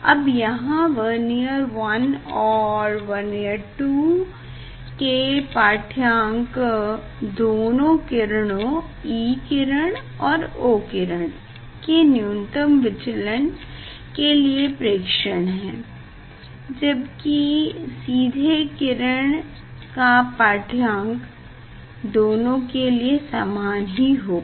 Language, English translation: Hindi, now, you take the reading for Vernier 1 and Vernier 2 this you have 2 reading for minimum deviation for O ray and E ray now you have direct reading for both the same